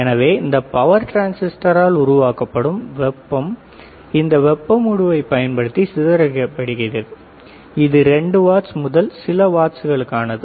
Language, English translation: Tamil, So, the heat generated by this power transistor is dissipated using this heat sink, this is for 2 watts to watts